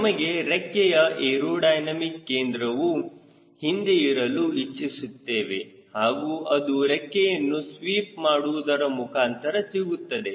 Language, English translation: Kannada, we like aerodynamic center of the wing to come backward and that happens by sweeping the way